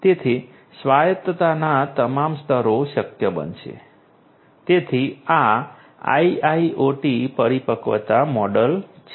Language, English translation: Gujarati, So, all levels of autonomy would be possible so this is this IIoT maturity model